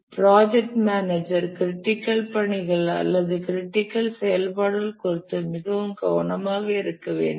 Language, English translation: Tamil, The project manager should be very careful about the critical tasks or the critical activities